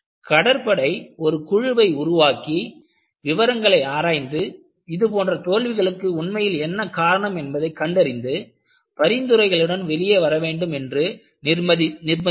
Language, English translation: Tamil, In fact, the navy formulated a committee, a board, to go into the details and find out what really caused such failures, and come out with recommendations